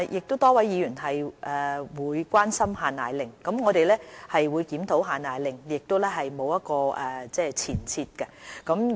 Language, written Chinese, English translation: Cantonese, 多位議員亦關心"限奶令"，我們會檢討"限奶令"，亦沒有前設。, Many Members also raised their concerns over the export control of powdered formulae